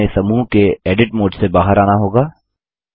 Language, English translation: Hindi, So we have to exit the Edit mode of the group